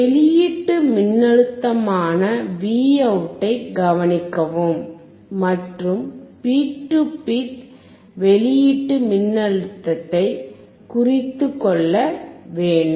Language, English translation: Tamil, Observe the output voltage Vout and note down it is peak to peak output voltage